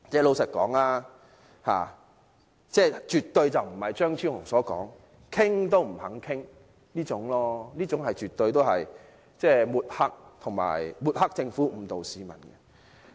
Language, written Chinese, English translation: Cantonese, 老實說，政府絕對不是如張超雄議員所說般完全不願意討論，這說法絕對是抹黑政府，誤導市民。, To be honest I think Dr Fernando CHEUNG is surely wrong in commenting that the Government is not willing to discuss the issue at all . His comment is definitely intended to smear the Government and mislead the public